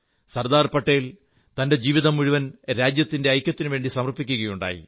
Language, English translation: Malayalam, Sardar Patel dedicated his entire life for the unity of the country